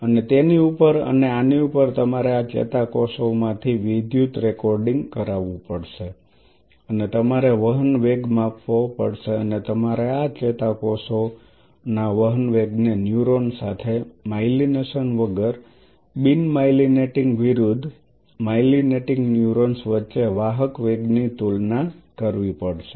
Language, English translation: Gujarati, And on top of that and on top of that you have to have electrical recording from these neurons and you have to measure you have to measure the conduction velocity and you have to compare the conduction velocity of these neurons along with a neuron without myelination, comparing conduction velocity between non myelinating versus myelinating neurons